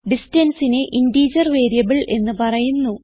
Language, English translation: Malayalam, The name distance is called an integer variable